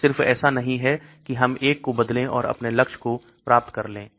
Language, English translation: Hindi, It is not just we change one and achieve your goal